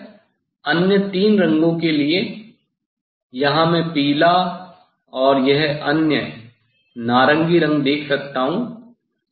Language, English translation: Hindi, Similarly, for other three colours at there, here I can see yellow and this other orange colour